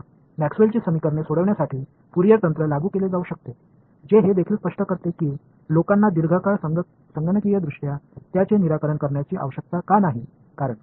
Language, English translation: Marathi, So, Fourier techniques can be applied to solve Maxwell’s equations which also explains why people did not need to solve them computationally for a long time because